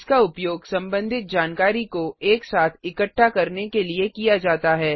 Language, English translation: Hindi, It is used to group related information together